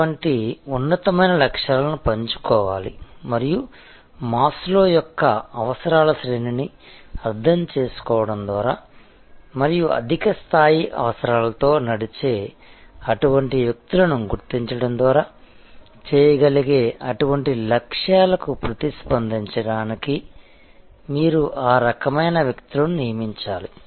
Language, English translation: Telugu, Such lofty goals should be shared and you should recruit people, who are of that type to respond to such goals that can be done by understanding the Maslow’s hierarchy of needs and identifying such people, who are driven by the higher level of needs